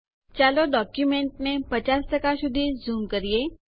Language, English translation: Gujarati, Let us zoom the document to 50%